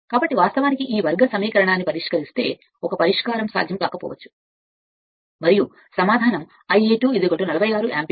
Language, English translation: Telugu, So, if you solve this quadratic equation, 1 solution may not be feasible and answer will be I a 2 is equal to 46 ampere right